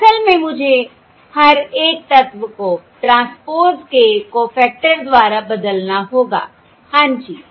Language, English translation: Hindi, Basically, I have to, I have to replace each element by the cofactor of the transpose